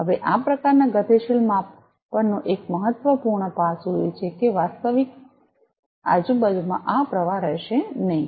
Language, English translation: Gujarati, Now, one important aspect of this kind of dynamic measurement is that in real ambient this flow is will not be there